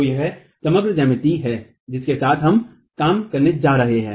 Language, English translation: Hindi, So this is the overall geometry with which we are going to be working